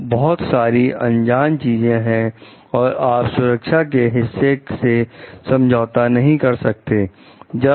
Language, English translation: Hindi, So, because there are so many unknowns and you cannot compromise with the safety part of it